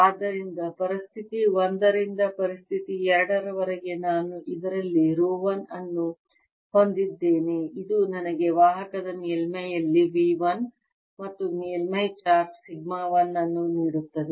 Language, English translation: Kannada, so, from situation one to situation two, i have rho one in this, which gives me potential v one, and surface charge sigma one on the surface of the conductor